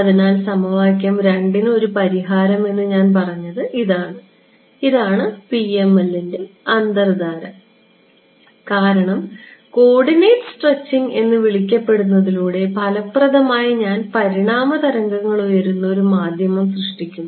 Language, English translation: Malayalam, So, this is why I said that this a solution to equation 2, this is at the heart of PML because, by doing a so called coordinate stretching, effectively I am generating a medium where the waves are evanescent ok